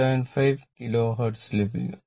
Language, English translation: Malayalam, 475 Kilo Hertz right is equal to 2